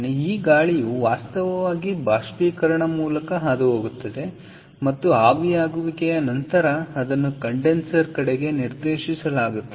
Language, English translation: Kannada, so this air actually passes through the evaporator, ok, and after the evaporator, it is directed towards the condenser